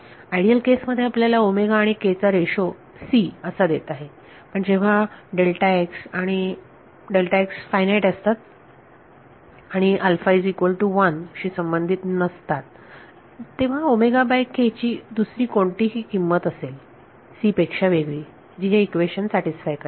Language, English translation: Marathi, In the ideal case it is giving you the ratio between omega and k to be c, but when delta x and delta t are finite and not related with alpha equal to 1 then there will be some other value of omega by k with satisfies this equation other than c, and that other than c is coming from here